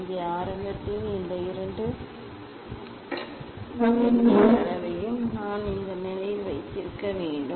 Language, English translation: Tamil, here initially what these two Vernier scale a we should keep in this position